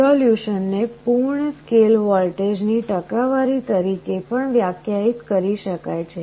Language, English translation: Gujarati, Resolution can also be defined as a percentage of the full scale voltage